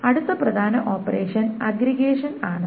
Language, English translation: Malayalam, The next important operation is aggregation